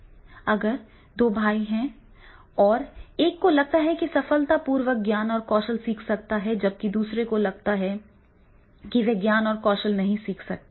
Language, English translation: Hindi, Then the two brothers, one feel that yes he can successfully learn knowledge and skills while the other fields know I cannot learn knowledge and skills